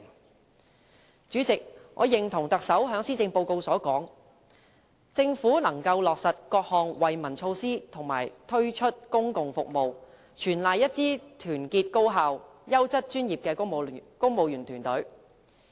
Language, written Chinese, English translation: Cantonese, 代理主席，我認同特首在施政報告提出："政府能夠落實各項惠民措施和推出公共服務，全賴一支團結高效、優質專業的公務員隊伍。, Deputy President I agreed with the remark of the Chief Executive in the Policy Address that The success of the Government in implementing initiatives and rolling out public services is due in no small measure to a united efficient distinguished and professional civil service